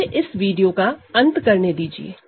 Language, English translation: Hindi, So, let me end this video here